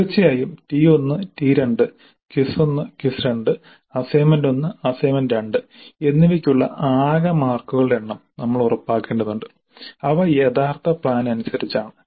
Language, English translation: Malayalam, First we have to ensure that the total number of marks for T1 T2, PIS 1, assignment and assignment 2 there as per the original plan